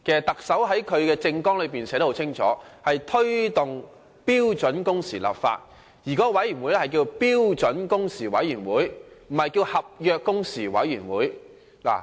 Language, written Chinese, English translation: Cantonese, 特首在其政綱內很清楚提出，要推動標準工時立法，而這個委員會的名稱是標準工時委員會而非合約工時委員會。, The Chief Executive has stated very clearly in his manifesto that he would promote the work of legislating for standard working hours and the committee set up for this purpose is called the Standard Working Hours Committee instead of the Contract Working Hours Committee